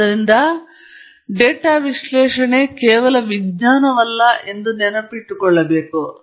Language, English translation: Kannada, So, therefore, you should remember data analysis is not just science alone